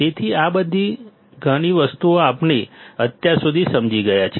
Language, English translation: Gujarati, So these much things we have understood till now